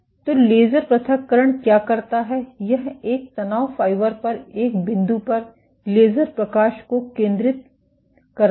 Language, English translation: Hindi, So, what laser ablation does is it focuses laser light at a single point on a stress fiber